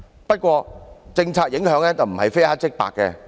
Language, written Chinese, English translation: Cantonese, 不過，政策影響不是非黑即白。, Nevertheless the policy impact is not as clear - cut as being either good or bad